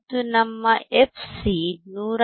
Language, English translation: Kannada, And if you remember our fc is 159